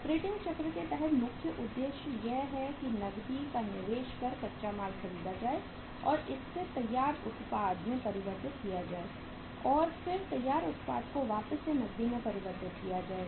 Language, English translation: Hindi, And the objective under the operating cycle is that the cash invested in buying of the raw material and converting that into finished product should be converted back into the cash